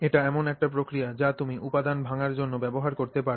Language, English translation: Bengali, It's an operation that you can use on for breaking down material